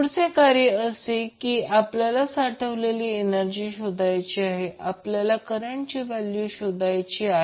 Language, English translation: Marathi, Now the next task is that to find the energy stored, we have to calculate the value of current